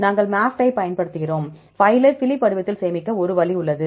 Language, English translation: Tamil, We use MAFFT there is an option to save the file in Phylip format